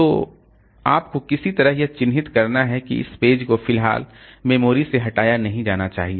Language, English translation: Hindi, So, you have to somehow earmark that this page should not be removed from memory for the time being